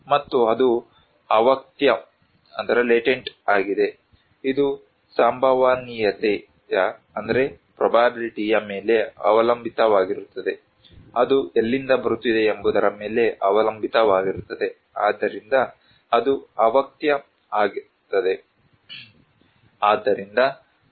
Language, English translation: Kannada, And it is latent, it depends on probability, it also depends on from where it is coming from, so it is latent